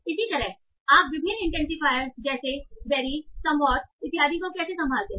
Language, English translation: Hindi, Similarly, how do you handle various intensifiers like vary somewhat, etc